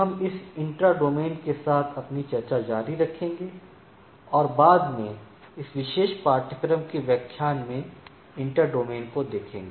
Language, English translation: Hindi, We will be continuing our discussion with this intra domain and subsequently inter domain in subsequent lectures of this particular course